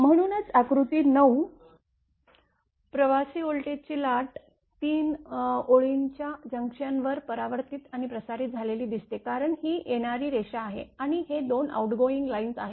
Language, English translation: Marathi, That is why figure 9, that is see the traveling voltage wave reflected and transmitted at junction of 3 lines because this is a is incoming line, this is incoming line and these 2 are outgoing line